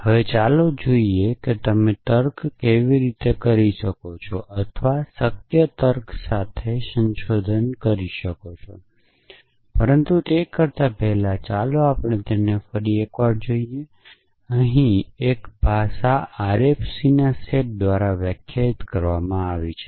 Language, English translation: Gujarati, Now, let us look at how you can do reasoning or inferences with possible logic, but before we do that let us just recap that, a language is defined by the sets of RFC